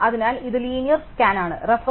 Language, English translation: Malayalam, So, this is the linear scan